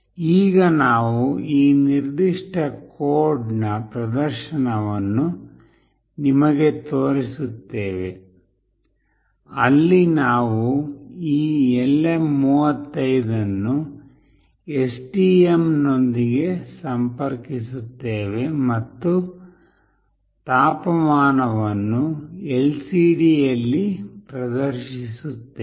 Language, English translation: Kannada, Now we will be showing you the experiment the demonstration of this particular code, where we will be interfacing this LM35 with STM and will display the temperature in the LCD